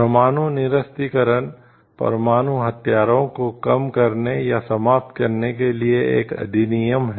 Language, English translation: Hindi, Nuclear disarmament is a act of reducing, or eliminating nuclear weapons